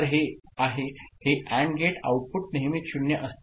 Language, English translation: Marathi, So, this is this AND gate output is always 0